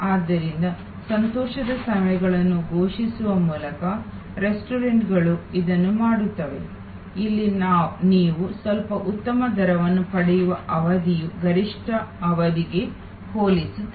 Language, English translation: Kannada, So, restaurants off an do it by declaring happy hours, where the lean period you get some better rate compare to the peak period